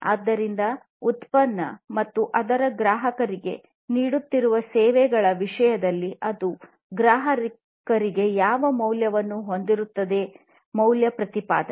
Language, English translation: Kannada, So, what value it is going to have to the customers in terms of the product and the services it is offering to the customer; value proposition